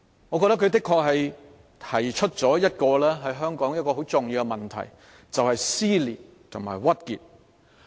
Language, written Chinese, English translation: Cantonese, 我認為她確實道出了香港一個很重要的問題，就是"撕裂"和"鬱結"。, I think she did spell out a crucial problem besetting Hong Kong―divisiveness and frustration